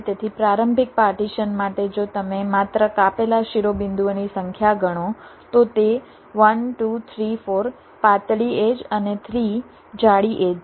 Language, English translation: Gujarati, so for initial partition, if you just count the number of vertices which are cut, it is one, two, three, four thin edges and three thick edges